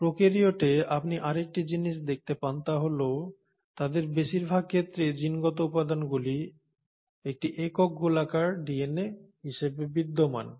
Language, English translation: Bengali, The other thing that you observe in prokaryotes is that for most of them genetic material exists as a single circular DNA